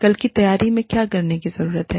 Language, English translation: Hindi, What needs to be done, in preparation for tomorrow